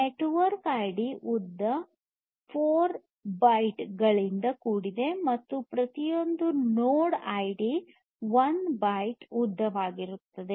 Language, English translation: Kannada, The network ID is of length 4 bytes and node ID each of these node IDs will have a length of 1 byte